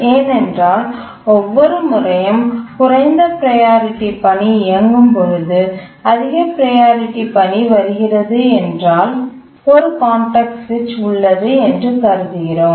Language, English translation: Tamil, But we are overlooking that sometimes a higher priority task may be running and a lower priority task arrives and there is no context switch